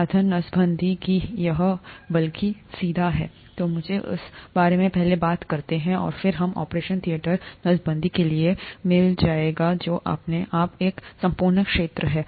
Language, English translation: Hindi, Instrument sterilization, that, it's rather straightforward, so let me talk about that first, and then we’ll get to the operation theatre sterilization, which is a whole field in itself